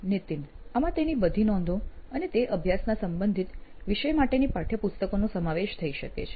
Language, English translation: Gujarati, So this could include all he is notes and that textbooks for that relevant topic of study